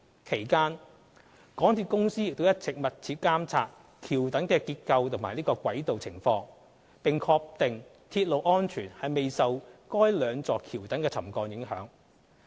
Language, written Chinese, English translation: Cantonese, 其間，港鐵公司亦一直密切監察橋躉結構及軌道情況，並確定鐵路安全未受該兩座橋躉沉降影響。, During the period MTRCL has also been closely monitoring the structure of the viaduct piers and the tracks and confirmed that railway safety has not been affected by the settlement of the two viaduct piers